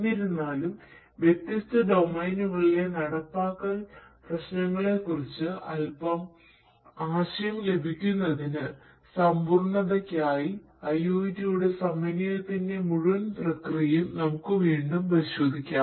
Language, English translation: Malayalam, But still for completeness sake for getting a bit of idea about implementation issues in different different domains, let us still have a relook at the entire process of integration of IoT